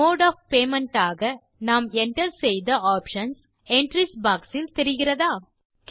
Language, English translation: Tamil, Can you see the options that we entered as Mode of Payments in the Entries box